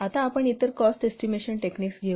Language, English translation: Marathi, Now let's take up the other cost estimation technique